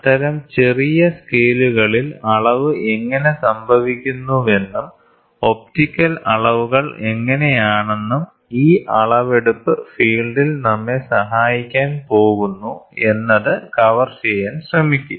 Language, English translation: Malayalam, So, we will try to cover how does the measurement happen at such small scales and also how is optical measurements, going to help us in this measurements field